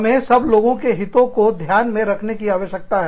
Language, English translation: Hindi, We need to take, everybody's interests, into account